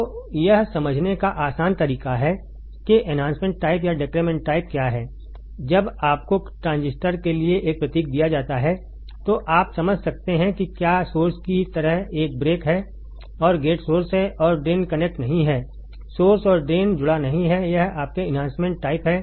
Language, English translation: Hindi, So, easy way of understanding whether is enhancement type or depletion type is, when you are given a this symbol for the transistor then you can understand if there is a break like source drain and gates are source and drain is not connected, source and drain is not connected it is your enhancement type